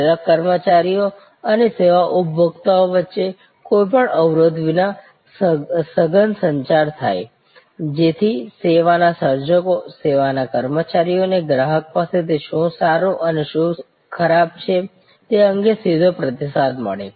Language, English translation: Gujarati, Intensive communication between service employees and service consumers without any barrier, so that the service creators, the service employees get a direct feedback from the customers about, what is good and what is bad